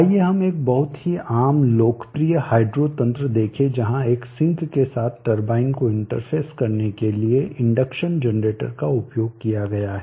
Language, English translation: Hindi, Let us see a very common popular hydro mechanism where the induction generator is used to interface the turbine with a sink; the sink could be the main grid or even standard